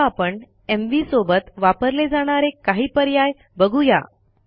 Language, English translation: Marathi, Now let us see some options that go with mv